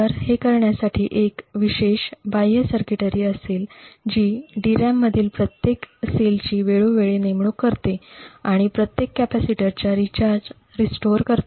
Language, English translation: Marathi, So, in order to achieve this what would happen is that there would be a special external circuitry, which periodically leads every cell in the DRAM and rewrites it therefore restoring the charge of the capacitor